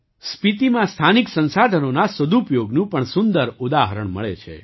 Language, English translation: Gujarati, The best example of utilization of local resources is also found in Spiti